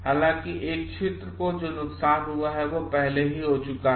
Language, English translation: Hindi, However, the damage that is done to a region has already been done